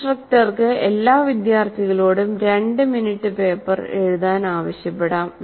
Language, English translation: Malayalam, The instructor can ask all the students to write for two minutes a paper